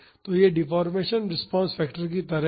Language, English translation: Hindi, So, this is like deformation response factor